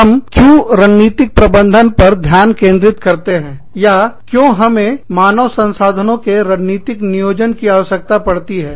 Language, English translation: Hindi, why we focus on strategic management, or, why we need human resources also, to be strategically planned